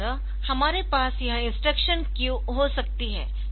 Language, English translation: Hindi, So, this way we can have this instruction